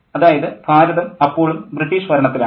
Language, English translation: Malayalam, So India is still under British rule